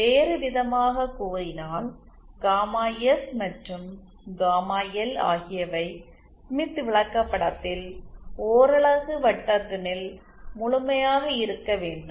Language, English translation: Tamil, In other words gamma S and gamma L should lie completely with in the smith chart of unit radius